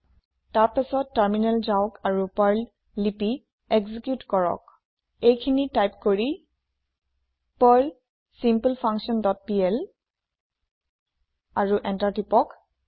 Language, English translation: Assamese, Then switch to the terminal and execute the Perl script by typing perl simpleFunction dot pl and press Enter